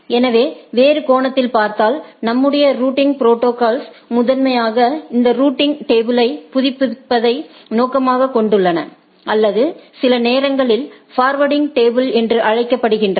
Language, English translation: Tamil, So, in other sense what we see that our routing protocols primarily aims at updating this routing table or sometimes called forwarding table